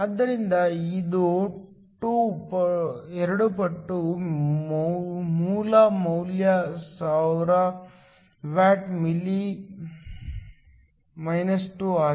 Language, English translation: Kannada, So, it is 2 times the original value is 1000 watts m 2